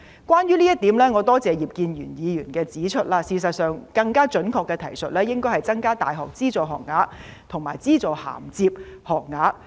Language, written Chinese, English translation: Cantonese, 關於這一點，我多謝葉建源議員指出，事實上，更加準確的提述應該是，"增加大學資助學額和資助銜接學額"。, On this point I would like to thank Mr IP Kin - yuen for pointing out that there is actually a more accurate way of putting it ie . increasing the numbers of subsidized university places and subsidized top - up places